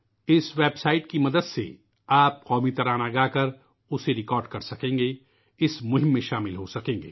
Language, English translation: Urdu, With the help of this website, you can render the National Anthem and record it, thereby getting connected with the campaign